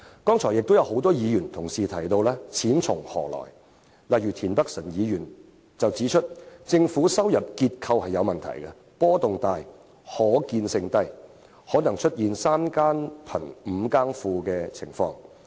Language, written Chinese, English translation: Cantonese, 剛才亦有多位議員同事提到"錢從何來"的問題，例如田北辰議員指出政府的財政收入結構有問題，波動大，可預見性低，可能會出現"三更富，五更窮"的情況。, Various Members have mentioned just now the question about where to obtain the money such as Mr Michael TIEN who pointed out that given the problematic structure of the Governments fiscal revenue of which the revenue is highly volatile with low foreseeability government revenue may fluctuate between surpluses and deficits